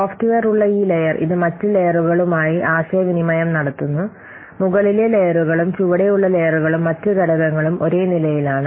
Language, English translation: Malayalam, This layer where this software is present, this communicates with other layers, I mean upper layers and below layers and also other components are the same level